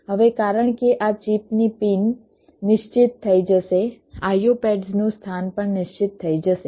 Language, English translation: Gujarati, now, because the pins of this chip will be fixed, the location of the i o pads will also be fixed